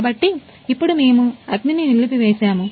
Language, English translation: Telugu, So now we are put off fire